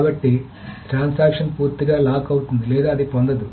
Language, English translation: Telugu, So either a transaction completely gets the rock or it doesn't get it